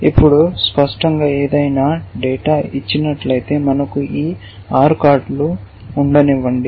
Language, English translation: Telugu, Now, obviously given any data that I have so, for example, I said that we have these 6 cards